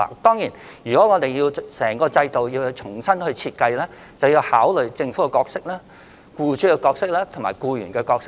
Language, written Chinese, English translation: Cantonese, 當然，如要重新設計整個制度，就要考慮和討論政府、僱主和僱員的角色。, Of course if the entire system has to be revamped we will have to consider and discuss the roles of the Government employers and employees